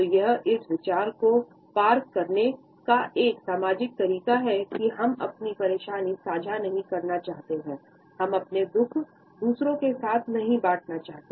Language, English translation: Hindi, So, this is a social way of passing across this idea that we do not want to share, our sorrow and our pain with others or we are able to put up with it